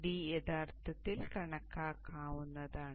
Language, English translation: Malayalam, So d is actually calculatable